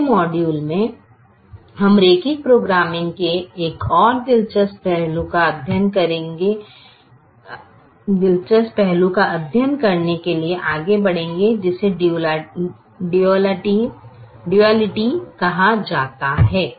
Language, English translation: Hindi, in the module we will move forward to study another interesting aspects of linear programming, which is called duality